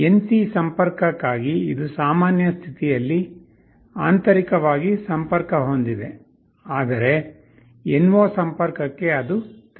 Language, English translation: Kannada, You see for the NC connection it is internally connected in the normal state, but for NO it is open